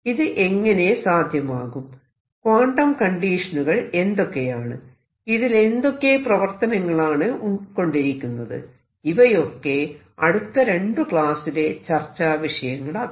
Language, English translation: Malayalam, How it is done, what are the quantum conditions, and how it is the dynamic followed will be subject of next two lectures